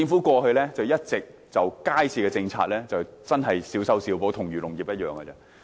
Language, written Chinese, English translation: Cantonese, 過去，政府一直對街市政策小修小補，跟漁農業的情況一樣。, In the past the Government had merely tinkered with the policy on public markets which is similar to the way it handles the agriculture and fisheries industry